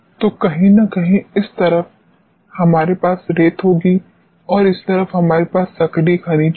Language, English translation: Hindi, So, somewhere on this side we will be having sands and, on this side, we will be having active minerals